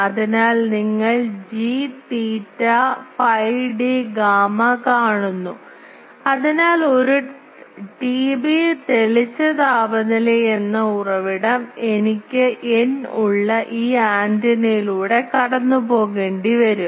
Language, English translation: Malayalam, So, you see G theta phi d gamma; so the source as a T B brightness temperature that I will have to pass through this antenna which is having an n